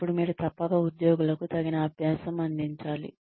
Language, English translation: Telugu, Then, you must provide, adequate practice for the employees